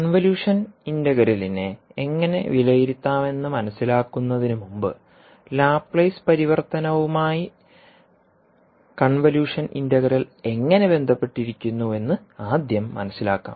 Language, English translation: Malayalam, Now before learning how we can evaluate the convolution integral, let us first understand how the convolution integral is linked with the Laplace transform